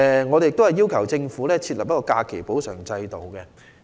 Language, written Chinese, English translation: Cantonese, 我們也要求政府設立假期補償制度。, We have also requested the Government to set up a leave compensation system